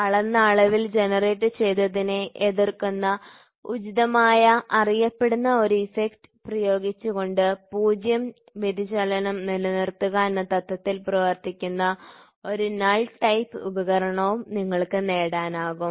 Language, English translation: Malayalam, So, you can also have a null type device working on the principle of maintaining a 0 deflection by applying an appropriate known effect that opposes the one generated by the measured quantity